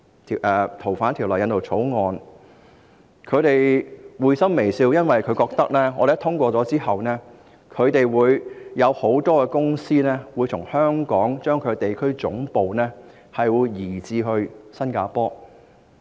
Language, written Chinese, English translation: Cantonese, 他們都發出會心微笑，因為他們覺得只要香港通過該條例草案，很多公司便會把地區總部從香港搬至新加坡。, They all gave a knowing smile for they think that with the passage of that Bill in Hong Kong many companies would then relocate their regional headquarters in Hong Kong to Singapore